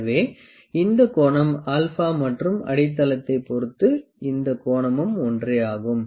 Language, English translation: Tamil, So, this angle alpha and this angle with the base this is same